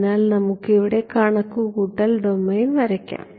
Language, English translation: Malayalam, So, let us also draw computational domain over here